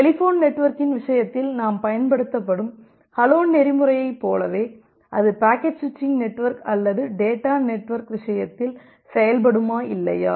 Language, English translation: Tamil, Just like the hello protocol that we use in case of our telephone network, whether that will work in the case of packet switching network or data network or not